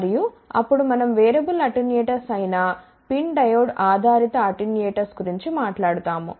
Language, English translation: Telugu, And, then we will talk about PIN diode based attenuators which are variable attenuators